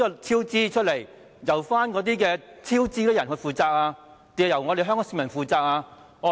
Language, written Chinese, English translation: Cantonese, 超支款項由導致超支者負責，還是由香港市民負責呢？, Will the cost overruns be paid by those who are responsible or by the people of Hong Kong?